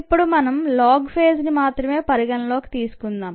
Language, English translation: Telugu, now let us consider the log phase alone